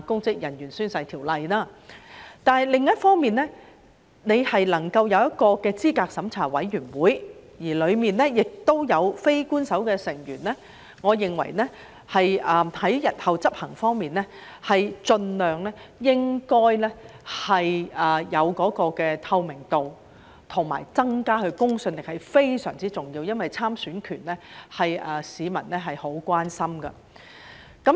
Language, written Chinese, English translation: Cantonese, 不過，另一方面，能夠有一個資審會，而當中亦有非官守成員，我認為在日後執行上，盡量保持有透明度和增加其公信力是非常重要的，因為參選權是市民很關心的。, On the other hand however the presence of CERC and its non - official members are I think very important to maintain as much transparency and credibility as possible in future enforcement because the right to stand for election is of great concern to the public . Let me talk about the part which I had no chance to mention just now